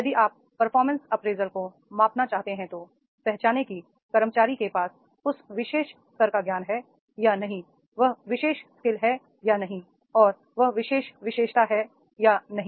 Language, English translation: Hindi, These if you want to measure the performance appraisal, identify whether the employee is having that particular level of knowledge or not, that particular skills are not and that particular attributes are not is there